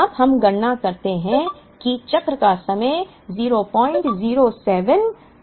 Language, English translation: Hindi, Now, we compute that the cycle time is 0